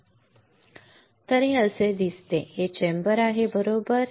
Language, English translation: Marathi, It looks like this and this is the chamber, right